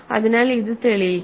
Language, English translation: Malayalam, So let us prove this